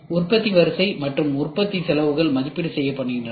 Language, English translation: Tamil, Manufacturing sequence and manufacturing costs are also assessed